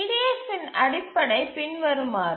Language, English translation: Tamil, So, this is the basic of the EDF